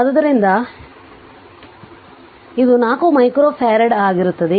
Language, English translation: Kannada, So, it will be 4 micro farad